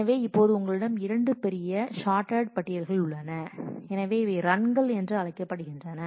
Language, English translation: Tamil, So, now, you have 2 bigger short sorted lists so, so these are called runs